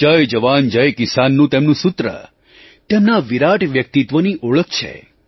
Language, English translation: Gujarati, His slogan "Jai Jawan, Jai Kisan" is the hall mark of his grand personality